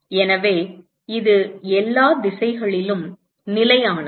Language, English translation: Tamil, So, it is constant in all directions